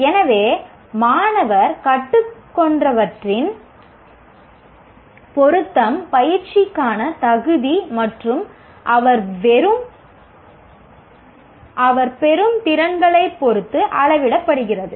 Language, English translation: Tamil, So the whole lot of the relevance of what the student is learning is measured with respect to the fitness or practice and the capabilities that he gains